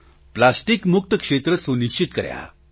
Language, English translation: Gujarati, They ensured plastic free zones